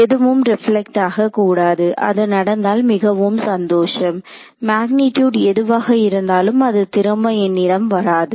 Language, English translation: Tamil, Nothing should get reflected back in, if that happens and I am happy whatever be the magnitude as long as it is does not come back to me